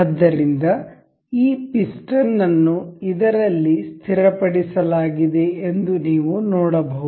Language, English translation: Kannada, So, you can see that this piston has been fixed in this